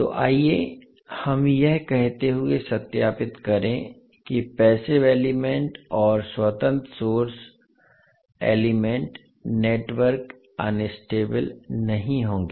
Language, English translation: Hindi, So let us verify our saying that the passive elements and independent sources, elements network will not be unstable